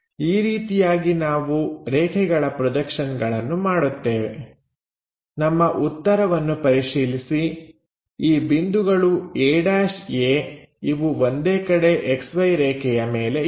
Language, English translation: Kannada, This is the way we construct projections of lines, check our solution both the points a’ a on one side above that XY line